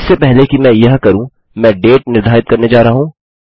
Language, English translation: Hindi, Just before I do that I am going to set the date